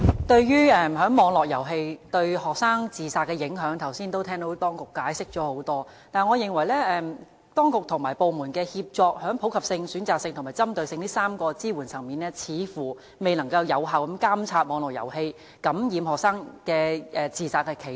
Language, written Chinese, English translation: Cantonese, 對於網絡遊戲對學生自殺的影響，剛才已聽到當局作出很多解釋，但我認為當局和部門的協作，在普及性、選擇性和針對性這3個支援層面，似乎未能有效監察網絡遊戲感染學生，令他們產生自殺的企圖。, The authorities have given detailed explanations on the influence of online games on student suicides . However despite the collaborated efforts of relevant bureaux and departments to put forward measures directed at three levels of Universal Selective and Indicated it appears that the influence of online game on students suicidal attempt cannot be effectively monitored